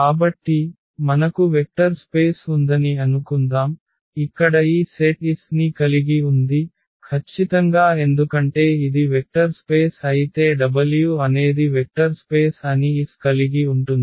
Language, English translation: Telugu, So, if you have a suppose you consider a vector space you we have a vector space for instance which contains this set S here , the definitely because if this is a vector space that say w is a vector space which contains S